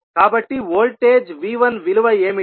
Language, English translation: Telugu, So, what will be the value of voltage V 1